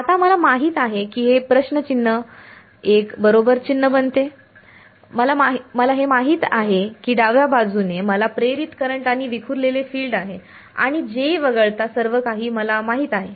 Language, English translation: Marathi, So, now I know this question mark becomes a tick mark, I know this the left hand side I know the induced current and the scattered field therefore, and I know everything in this except J